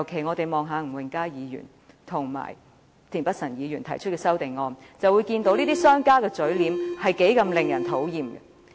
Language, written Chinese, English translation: Cantonese, 我們從吳永嘉議員和田北辰議員提出的修正案可看到，這些商家的嘴臉多麼令人討厭。, From the amendments proposed by Mr Jimmy NG and Mr Michael TIEN we can picture the disgusting countenances of businessmen